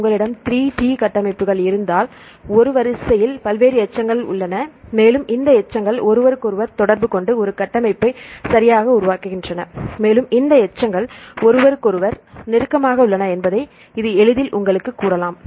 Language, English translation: Tamil, And if you have the 3D structures right there are various many residues in a sequence, and these residues interact with each other and form a structure right and this can easily tell you which residues are close to each other